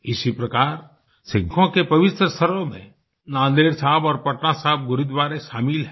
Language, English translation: Hindi, Similarly, the holy sites of Sikhs include 'Nanded Sahib' and 'Patna Sahib' Gurdwaras